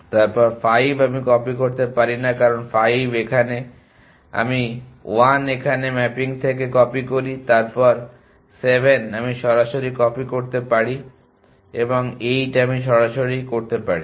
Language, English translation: Bengali, Then 5 I cannot copy, because 5 is here I copy 1 here from the mapping then 7 I can copy directly and 8 I can directly